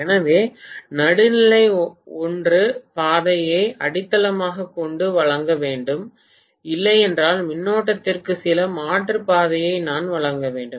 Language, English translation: Tamil, So, either the neutral should provide the path by grounding it, if not, I have to provide some alternate path for the current